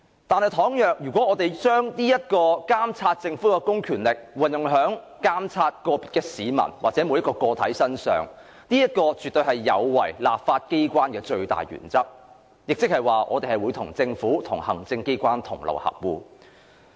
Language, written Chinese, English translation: Cantonese, 但是，倘若我們把對政府公權力的監察應用在個別市民身上，則絕對有違立法機關的最大原則，即我們與政府或行政機關同流合污。, However imposing our monitoring of the Governments public power on individual citizens absolutely violates the most fundamental principle of the legislature meaning we associate ourselves with the Government or the executive authorities to engage in unscrupulous collusion